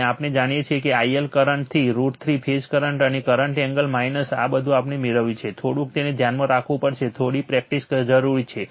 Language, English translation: Gujarati, And we know I line current to root 3 current and phase current angle minus these all we have derived, little bit you have to keep it in your mind right little bit practice is necessary